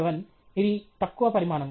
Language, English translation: Telugu, 7 which is a low quantity